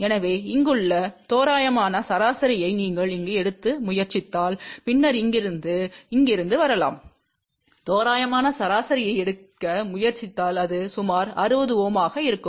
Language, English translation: Tamil, So, if you try to take approximate average of this that may come around this here and then from here to here, you try to take approximate average it will come out to be roughly 60 Ohm